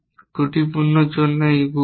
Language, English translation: Bengali, Is this multiplier for faulty